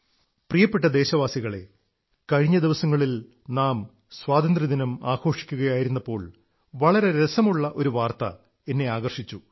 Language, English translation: Malayalam, Dear countrymen, a few weeks ago, while we were celebrating our Independence Day, an interesting news caught my attention